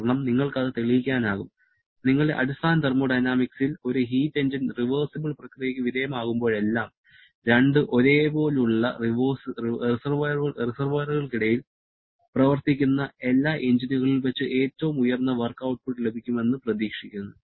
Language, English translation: Malayalam, Because it can we proved that and you must have learnt that in your basic thermodynamics that whenever a heat engine is undergoing a reversible process, then it is expected to produce the highest possible work output among all the engines operating between the same two reservoirs